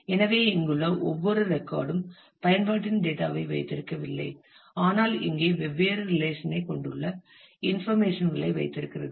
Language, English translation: Tamil, So, every record here is not keeping the data of your application, but its keeping the information that here you have these different relations